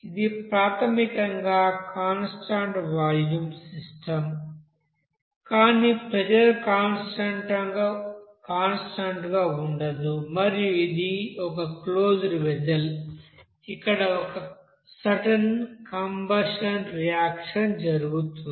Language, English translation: Telugu, It is basically you know that a constant volume system, but there pressure is not keeping constant and it is a closed vessel where there will be a certain you know, combustion reaction is taking place